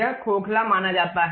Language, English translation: Hindi, It is supposed to be hollow